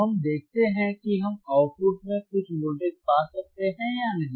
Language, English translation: Hindi, So, let us see whether we can find some voltage at the output or not oknot